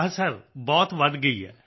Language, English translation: Punjabi, Yes Sir, it has increased a lot